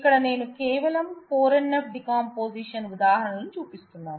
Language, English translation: Telugu, here I am just showing examples of 4 NF decomposition